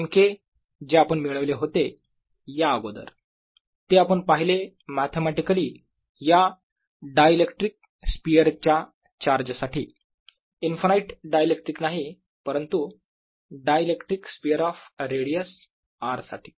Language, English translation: Marathi, but now we have seen it responding to this charge of this dielectrics sphere, not infinite dielectric, but dielectrics sphere of radius r